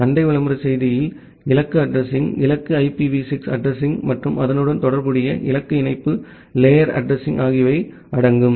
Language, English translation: Tamil, In the neighbor advertisement message, you include the target address, the target IPv6 address and the corresponding target link layer address